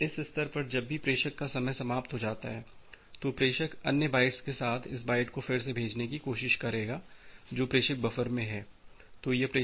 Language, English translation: Hindi, Now at this stage whenever the sender gets a time out, the sender will try to retransmit this byte along with all the other bytes which are there in the sender buffer